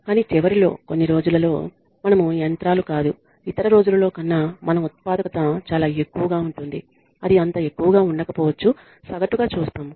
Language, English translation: Telugu, But at the end of the day we are not machines on some days our productivity will be very high on other days it may not be so high so we are looking at averages